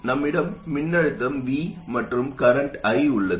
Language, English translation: Tamil, We have the voltage V in the current I